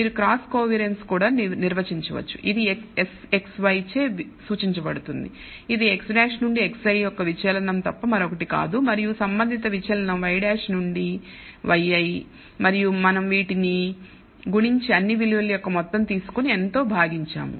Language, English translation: Telugu, You can also define the cross covariance which is denoted by S xy which is nothing but the deviation of x i from x bar and the corresponding deviation of y i from y bar and the product of this we take and sum over all values and divide by n